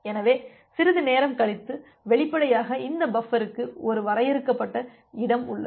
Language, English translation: Tamil, So, after some time; obviously, this buffer has a finite space